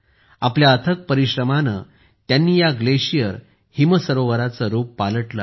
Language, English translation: Marathi, With his untiring efforts, he has changed the look and feel of this glacier lake